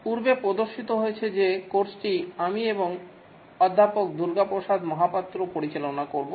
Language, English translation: Bengali, Welcome to the software project management course as has been handled by myself and Professor Durga Prasad Mahapatra